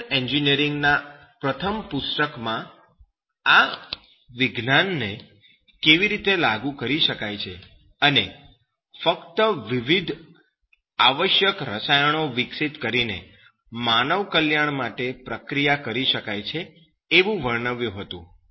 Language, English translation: Gujarati, He described in his first book of chemical engineering and how this science can be applied and it can be processed for the betterment of human life just by developing different essential chemicals